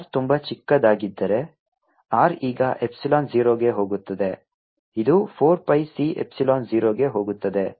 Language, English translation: Kannada, if r is very small, r going to epsilon, which is going to zero, this goes four pi c epsilon zero